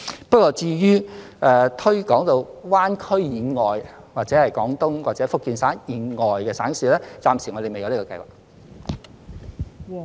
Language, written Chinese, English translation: Cantonese, 不過，至於推廣到灣區以外，或者廣東或福建省以外的省市，暫時我們未有這樣的計劃。, However as regards extending the schemes to provinces and cities outside the Greater Bay Area or outside Guangdong or Fujian Province we do not have such a plan for the time being